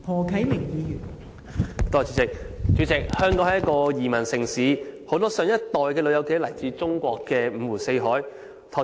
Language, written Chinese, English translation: Cantonese, 代理主席，香港是一個移民城市，很多上一代的長者皆來自中國各地。, Deputy President Hong Kong is a migrant city . Many elderly people of the previous generation came from various places of China